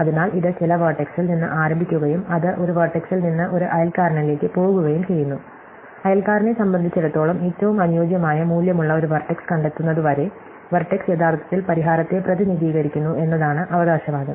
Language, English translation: Malayalam, So, it starts at some vertex and it keeps going from one vertex to a neighbor, until it finds a vertex whose value is optimum with respect to it is neighbors and the claim is that vertex actually represents the solution